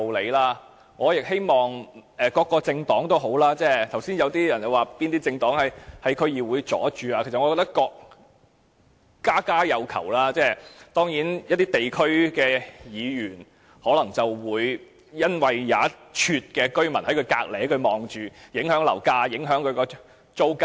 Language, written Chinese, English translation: Cantonese, 剛才有議員說某些政黨曾阻礙政府在區議會的工作，其實我覺得家家有求，一些區議員當然可能會因為有居民認為興建龕場會影響樓價及租金，因而作出阻撓。, A Member said earlier that some Members from certain political parties had hindered the Governments work in the District Councils DCs . Actually we all have different demands . Certainly some DC members might in view of residents concern that building a columbarium in their district would affect property prices and rent oppose the development plan